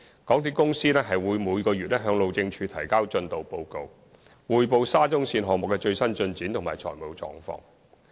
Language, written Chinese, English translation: Cantonese, 港鐵公司每月會向路政署提交進度報告，匯報沙中線項目的最新進展及財務狀況。, MTRCL is required to report the latest progress and financial position of the SCL project to HyD in the form of monthly progress reports